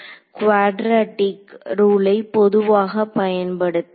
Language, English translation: Tamil, Use a quadrature rule in general right